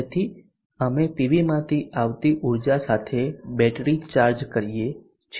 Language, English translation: Gujarati, So we charge the battery with the energy coming from the PV